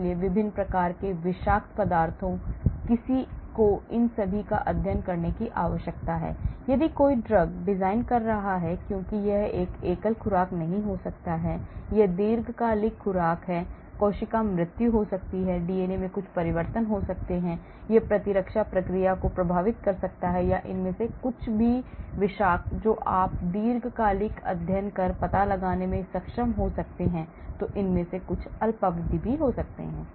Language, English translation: Hindi, so different types of toxicities, so one needs to study all these if one is designing drugs because it might not be a single dose, it could be long term dose, cell death; lot of mutagenic changes to the DNA can happen it may affect immune response or some of these toxicity you may be able to find out on long term studies, some of these could be the short term